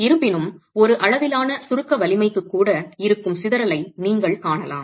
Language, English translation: Tamil, However, you can see the kind of scatter that exists even for one level of compressive strength